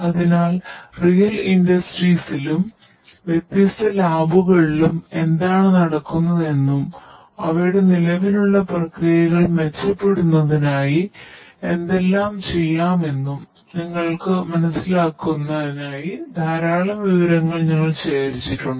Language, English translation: Malayalam, So, so many rich content that we have prepared for you just so that you can understand better what goes on in the real industries and the different labs and how we could transform their processes to improve their existing processes towards betterment